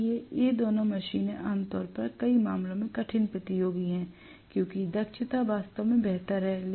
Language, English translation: Hindi, So, both these machines are generally tough competitors in many cases because the efficiency is really, really better